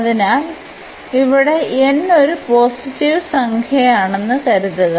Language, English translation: Malayalam, So, suppose here n is a positive number